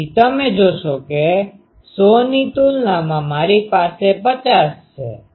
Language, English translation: Gujarati, So, you see that compared to 100, I have 50 half